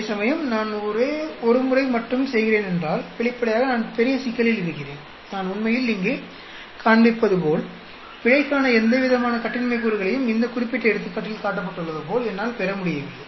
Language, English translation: Tamil, Whereas if I am doing only once, then obviously, I am in big trouble, I am not able to get any degrees of freedom for error as I am showing here actually; as shown in this particular example